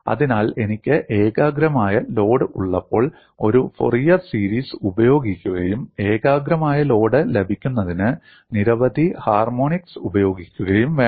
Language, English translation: Malayalam, So, when I have a concentrated load, I have to use a Fourier series and invoke several harmonics to obtain a concentrated load